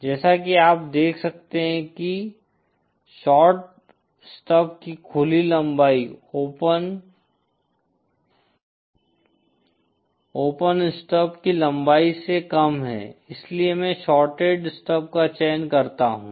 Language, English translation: Hindi, As you can sees the since the open length of the shorted stub is lesser than the length of the open stub hence I choose the shorted stub